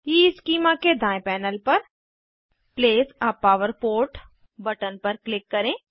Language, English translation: Hindi, On the right panel of EESchema, click on Place a power port button